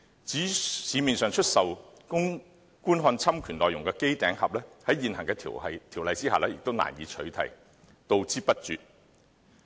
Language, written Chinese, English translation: Cantonese, 至於在市面上出售供觀看侵權內容的機頂盒，在現行條例下也難以取締，杜之不絕。, The current legislation is also unable to eradicate set - top boxes for watching infringed contents available in the market